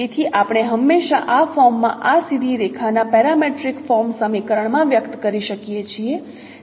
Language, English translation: Gujarati, So we can always express in a parametric form equation of this straight line in this form